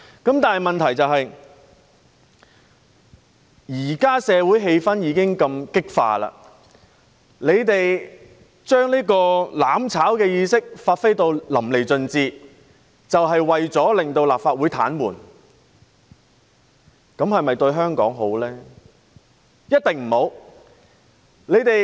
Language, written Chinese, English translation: Cantonese, 不過，問題是，社會現時如此激化，他們將"攬炒"意識發揮得淋漓盡致，意圖癱瘓立法會，這對香港是否好事呢？, But the point is amidst intensifying social conflicts will it do any good to Hong Kong if they bring their mutual destruction mentality into full play with the intention of paralysing the Legislative Council?